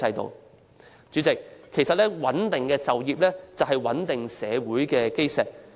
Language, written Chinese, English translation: Cantonese, 代理主席，其實就業穩定是社會穩定的基石。, Deputy President employment stability is in fact the cornerstone of social stability